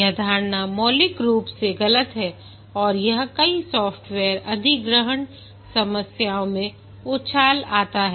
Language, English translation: Hindi, This assumption is fundamentally wrong and many software accusation problems spring from this